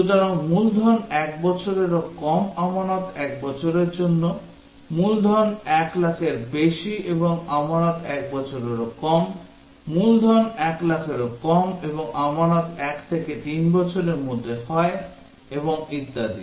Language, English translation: Bengali, So, principal is less than 1 lakh deposit is for 1 year, principal greater than 1 lakh and deposit is for less than 1 year, principal less than 1 lakh and deposit is between 1 to 3 year and so on